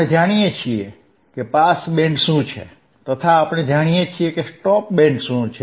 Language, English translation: Gujarati, We know what is pass band, we know what is stop band we also know, correct